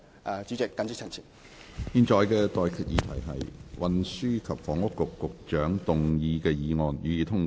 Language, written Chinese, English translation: Cantonese, 我現在向各位提出的待決議題是：運輸及房屋局局長動議的議案，予以通過。, I now put the question to you and that is That the motion moved by the Secretary for Transport and Housing be passed